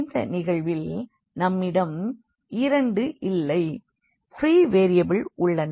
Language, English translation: Tamil, So, in this case we have two in fact, free variables